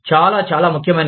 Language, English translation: Telugu, Very, very important